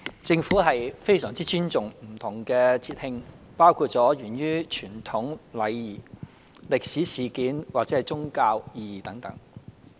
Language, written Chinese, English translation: Cantonese, 政府非常尊重不同的節慶，包括源於傳統禮儀、歷史事件或宗教意義等。, The Government has great respect for various festivals and celebrations including those which originate from traditional rites and historical events or those with religious significance etc